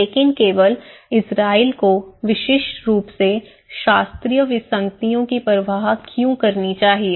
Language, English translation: Hindi, But why should only Israeli uniquely care about classificatory anomalies